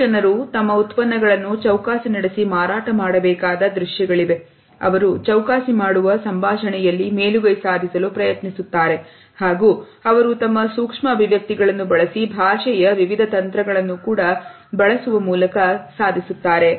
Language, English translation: Kannada, There are lot of scenes where three clients have to negotiate and sell their products or they try to get an upper hand in a conversation and they are able to do it using their micro expressions and using different strategies of body language